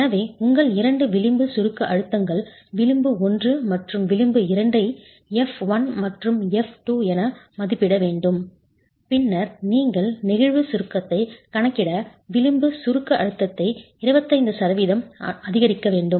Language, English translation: Tamil, So your two edge compression have to be estimated, edge 1 and H2 as F1 and F2, and then you increase the edge compressive stress by 25% to account for flexual compression itself